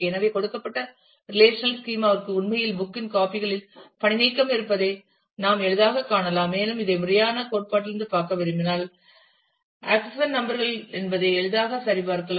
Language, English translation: Tamil, So, we can easily see that the given relational schema actually has redundancy across copies of the book and if we want to look at this from formal theory we can easily check that the keys accession number